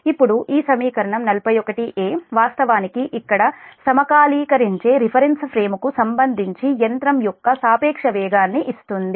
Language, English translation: Telugu, now this equation forty one a actually gives the relative speed of the machine with respect to the synchronously revolving reference frame